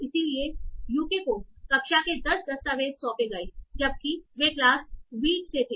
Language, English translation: Hindi, So it assigned 10 documents to class UK while they were from class wheat